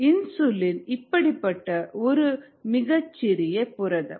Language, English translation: Tamil, so insulin is really small protein